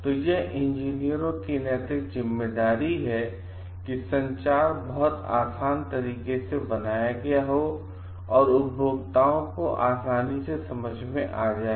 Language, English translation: Hindi, So, it is the moral and ethical responsibility of the engineers to be sure that the communication is made in a very easy way for the understanding of the consumers